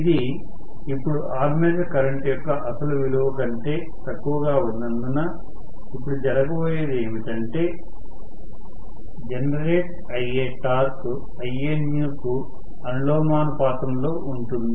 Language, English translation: Telugu, Because it is now less than the original value of armature current, what is going to happen now is, the torque that is produced is going to be proportional to Ianew